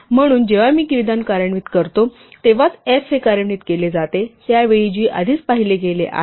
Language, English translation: Marathi, So, it is only when I execute the statement f is executed at that time g has already been seen